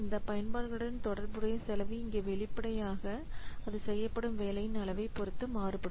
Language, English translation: Tamil, So here the cost associated with these applications, obviously that will vary according to the volume of the work performed